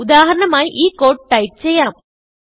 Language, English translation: Malayalam, For example, consider the code